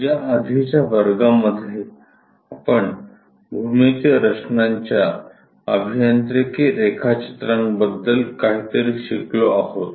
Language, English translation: Marathi, In the earlier classes, we have learnt about introduction to engineering drawings something about geometric constructions